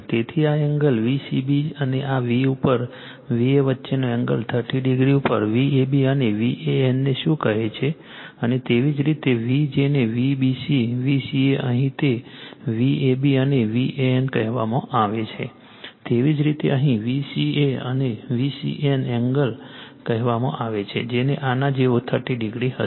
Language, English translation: Gujarati, So, this angle that angle between your V c b right and this v look at V a your what you call V a b and V a n is thirty degree and similarly your V your what you call b V c, V c a right here it is V a b and V a n similarly here it is V c a and V c n angle your what you call will be 30 degree like this